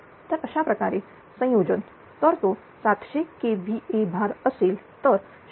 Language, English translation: Marathi, So, this way combination, so if that is 700 kvr load is there 0